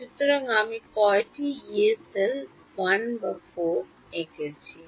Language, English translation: Bengali, So, how many Yee cells have I drawn 1 or 4